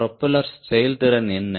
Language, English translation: Tamil, this is propeller efficiency